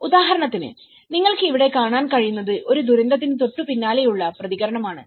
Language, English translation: Malayalam, So for instance, what you can see here is in the disaster of response immediately after a disaster